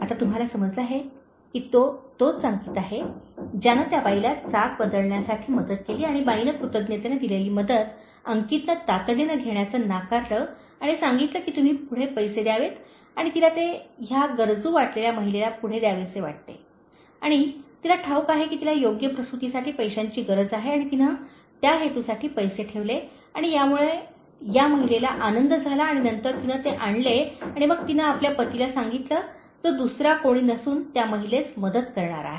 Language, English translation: Marathi, ” So you understand now that, it is the same Ankit who helped the lady for changing the tire and the lady out of gratitude, since Ankit refused to take her help immediately and said that you pay it forward she wanted to pay it forward to this lady who is needy and she knows that she needs money for proper delivery and she kept the money for that purpose and that made this lady happy and then she brought it and then she told her husband who is none other than the same person who helped the lady